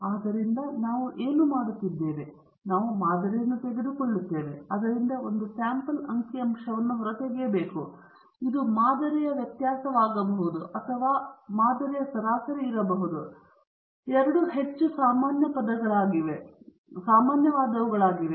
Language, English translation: Kannada, So, what we do is, we take the sample, and then extract a sample statistic from it; it may be the variance of the sample or it may be the mean of the sample these are the two more common ones